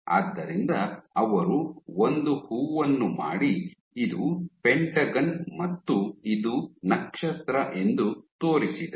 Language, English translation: Kannada, So, they made a flower this is a pentagon and this is a star